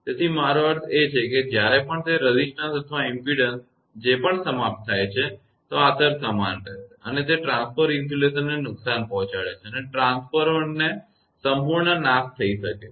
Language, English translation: Gujarati, So, I mean whenever it is terminated resistance or impedance of whatsoever, the impact will remain same and it can damage the transformer insulation and transformer can be totally damaged